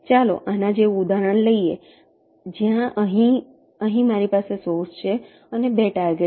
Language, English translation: Gujarati, lets take an example like this, where i have the source here and the two targets